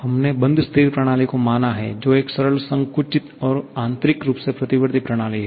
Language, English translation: Hindi, We have considered closed stationary system, a simple compressible one and internally reversible